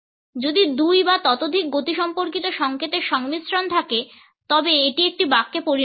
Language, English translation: Bengali, If there is a combination of two or more kinesics signals it becomes a sentence